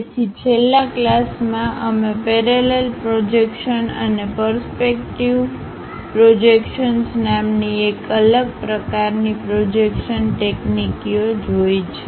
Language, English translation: Gujarati, So, in the last class, we have seen different kind of projection techniques namely the parallel projections and perspective projections